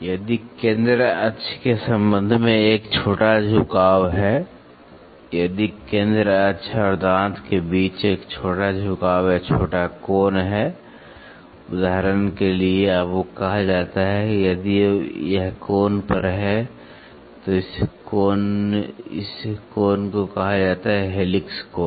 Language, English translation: Hindi, If, there is a small tilt with respect to the centre axis, if there is a small tilt or small angle between the centre axis and the tooth, you that is called for example, if it is at an angle then this angle is called as helix angle